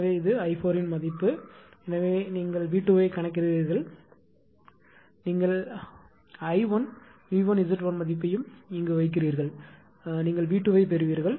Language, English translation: Tamil, So, it is the same value of i 4 this value therefore, you calculate V 2 right you put all the value I 1 V 1 Z 1 everything you put you will get V 2 is equal to 0